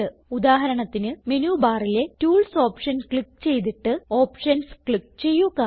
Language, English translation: Malayalam, For example, click on the Tools option in the menu bar and then click on Options